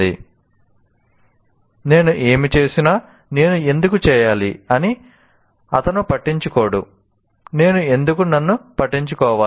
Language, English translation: Telugu, He doesn't care whether whatever I do, why should I care myself